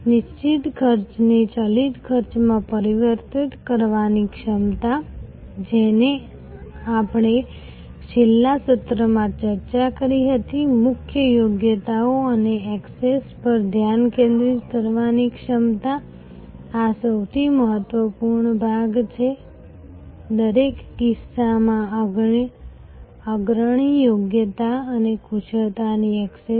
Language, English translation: Gujarati, The ability to transform fixed costs into variable costs which we discussed in the last session, the ability to focus on core competencies and access, this is the most important part; access in each case the leading competency and expertise